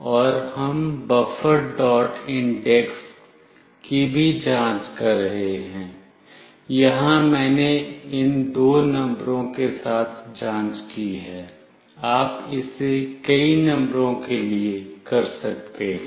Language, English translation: Hindi, And we are also checking buffer dot index Here I have checked with these two numbers, you can do this for many numbers